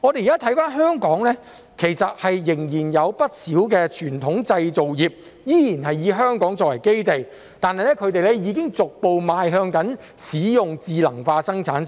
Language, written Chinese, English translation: Cantonese, 現時，香港仍然有不少傳統製造業是以香港作為基地的，但它們已經逐步邁向使用智能化生產線。, At present many traditional manufacturing industries still have their base in Hong Kong but they have gradually moved towards the use of smart production lines